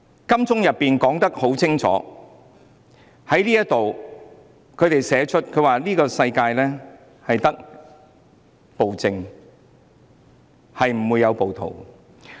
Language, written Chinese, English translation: Cantonese, 金鐘的牆壁已清楚寫上：這個世界只有暴政，沒有暴徒。, It is clearly written on the walls of Admiralty There is no rioters only tyranny